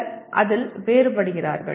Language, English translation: Tamil, Some people differ on that